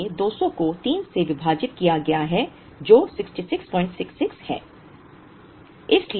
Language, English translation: Hindi, So, 200 divided by 3 which is 66